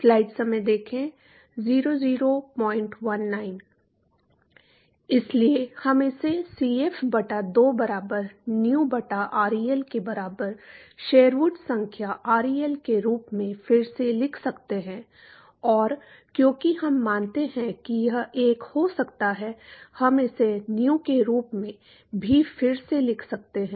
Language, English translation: Hindi, So, we can rewrite this as Cf by 2 equal to Nu by ReL equal to Sherwood number by ReL and because we assume this could be 1, we could also rewrite this as Nu